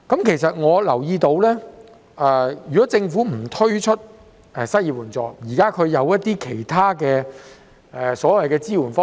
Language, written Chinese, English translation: Cantonese, 其實，我留意到政府可能不推出失業援助，而提出其他支援方式。, In fact I have noted that the Government may not introduce any unemployment assistance but provide help in other ways instead